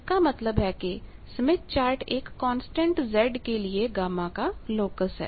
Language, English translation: Hindi, Now, just we will have to plot the locus of gamma for constant Z